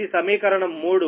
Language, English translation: Telugu, this is equation three